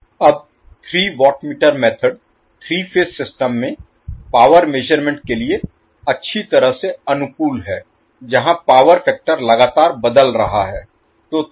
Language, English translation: Hindi, Now these three watt meter method is well suited for power measurement in a three phase system where power factor is constantly changing